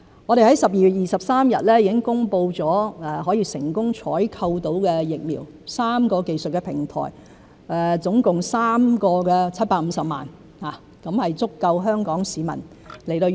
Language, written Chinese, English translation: Cantonese, 我們在去年12月23日已經公布了成功採購的疫苗 ——3 個技術平台，總共3款，各750萬劑，足夠香港市民使用。, At the time we had to work on the advance purchase agreements covertly and in strict confidence . On 23 December last year we announced the successful procurement of vaccines―7.5 million doses of each of the three technology platforms which will be sufficient for use by the Hong Kong population